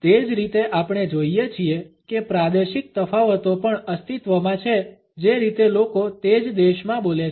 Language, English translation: Gujarati, In the same way we find that the regional differences also exist in the way people speak within the same country